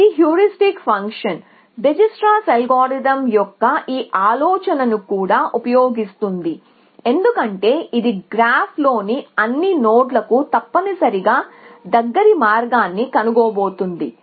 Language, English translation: Telugu, It also uses this idea of a heuristic function diastral algorithm did not need to do this because it was anyway going to find shorter path to all nodes in the graph essentially